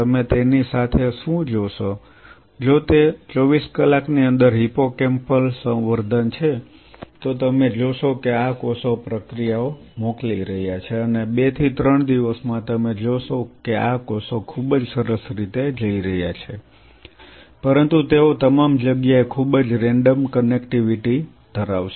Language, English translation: Gujarati, So, you have done the cell plating now what will you observe with it if it is a hippocampal culture within 24 hours you will start seeing these cells will be sending out processes and within 2 3 days you will see these cells are going very neatly, but they will have a very random connectivity all over the place